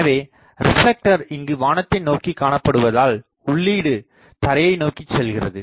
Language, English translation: Tamil, Now, so with the reflector pointing towards the sky the feed is pointing toward the ground